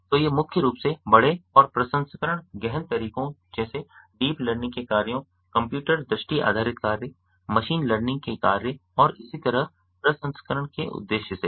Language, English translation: Hindi, so these are mainly aimed at processing larger and processing intensive methods such as deep learning tasks, computer vision based task, machine learning based task and so on